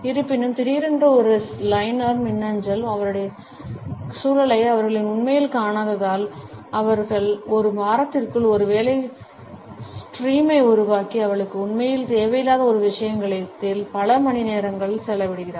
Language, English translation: Tamil, Although, sudden after that one liner email, because they had not really seen her context, they created a work stream within a week and spend hours working on something that she did not even really need